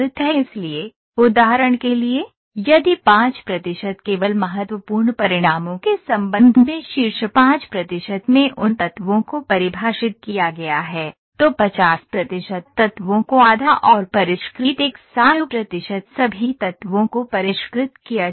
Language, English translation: Hindi, So, for example, if 5 percent only those elements in the top 5 percent with regards to critical results are defined, at 50 percent half of the elements are refined and at ha 100 percent all elements are refined